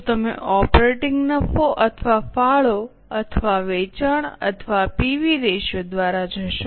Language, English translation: Gujarati, Will you go by operating profit or contribution or sales or PV ratio